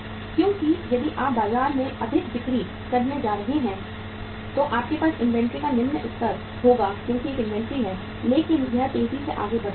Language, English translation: Hindi, Because if you are going to sell more in the market you would have low level of inventory because there is a inventory but it is fastly moving